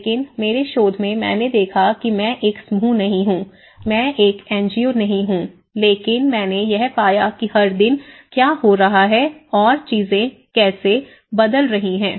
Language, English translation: Hindi, But in my research, I looked because I am not a group, I am not an NGO, but I am looking at everyday what is happening every day, how things are changing every day